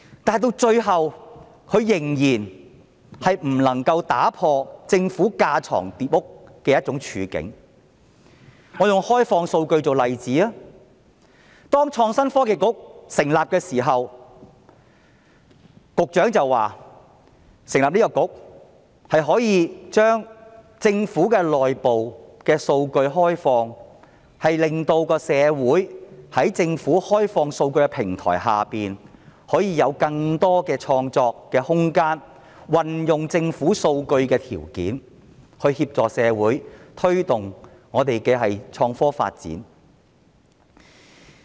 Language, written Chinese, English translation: Cantonese, 但是，最後她仍然不能夠打破政府架床疊屋的處境。我以開放數據為例，當創科局成立時，時任局長表示，成立該局可以將政府內部數據開放，令社會在政府開放數據的平台下有更多的創作空間，以及運用政府數據的條件協助社會推動香港的創科發展。, In the case of open data upon the establishment of the Innovation and Technology Bureau the then Secretary said that the Bureau would open up the Governments internal data so that society would have more creative space under the Governments open data platform and innovative technology development can be promoted with the government data